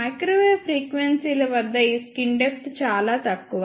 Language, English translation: Telugu, At microwave frequencies this skin depth is very very small